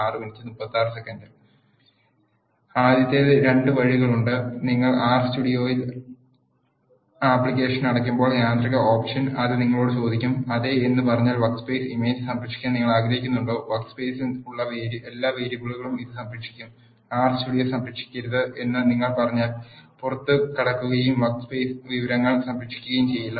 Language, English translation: Malayalam, There are 2 ways the first one is the automatic option when you close the R Studio application it will ask you look do you want to save the workspace image if you say yes it will save all the variables that are there in the workspace, if you say do not save the R Studio will exit and the workspace information not be saved